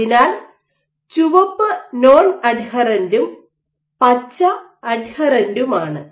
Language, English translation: Malayalam, So, red is non adherent and green is adherent